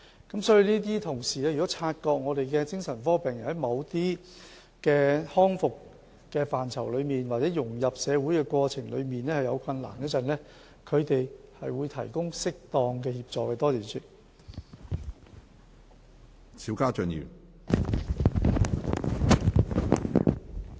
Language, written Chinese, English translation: Cantonese, 我們的同事如果察覺精神科病人在某些康復範疇，或者在融入社會的過程中遇有困難，他們會提供適當的協助。, If our colleagues observe that psychiatric patients encounter difficulties in any area of rehabilitation in the process of integrating into the community they will provide suitable assistance